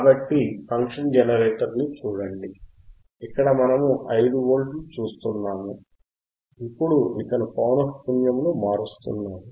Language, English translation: Telugu, So, if you see the function generator this is a function generator you can see 5 Volts that we have applied and the frequency is 50 Hertz